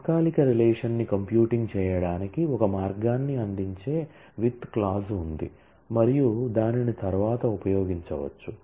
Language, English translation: Telugu, There is a with clause that provides a way of computing a temporary relation and that can be subsequently used